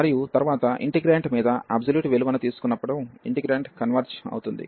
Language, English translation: Telugu, And next, we will show that when we take the absolute value over the integrant that integrant does not converge